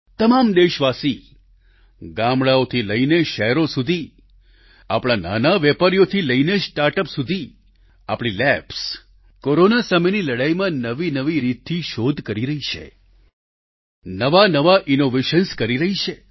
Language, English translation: Gujarati, A multitude of countrymen from villages and cities, from small scale traders to start ups, our labs are devising even new ways of fighting against Corona; with novel innovations